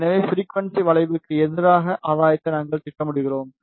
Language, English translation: Tamil, So, this is how we plot the gain versus frequency curve